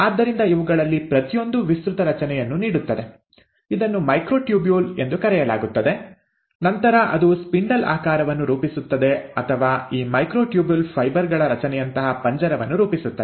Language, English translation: Kannada, So each of these gives an extended structure which is called as the microtubules which then forms a spindle shaped, or a cage like structure of these microtubule fibres